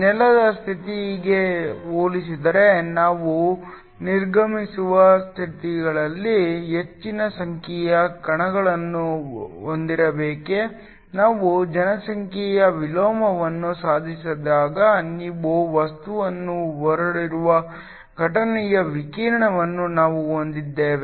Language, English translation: Kannada, Is that we must have more number of particles in the exited states as compare to the ground state, when we achieve population inversion we have an incident radiation that strikes your materiel